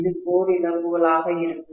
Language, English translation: Tamil, And this is going to be core losses, right